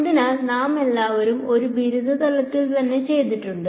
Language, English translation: Malayalam, So, we have all done this in undergraduate right